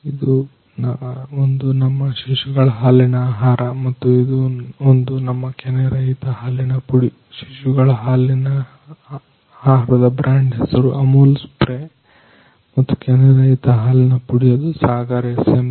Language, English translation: Kannada, This one is our infant milk food and this one is our skim milk powder the brand name of infant milk food is Amul spray and skim milk powder is of Sagar SMB